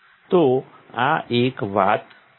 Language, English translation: Gujarati, So, this is one thing